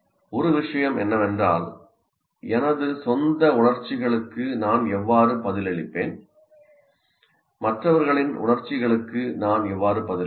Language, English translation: Tamil, And so one of the thing is how do I respond to my own emotions and how do I respond to the others emotions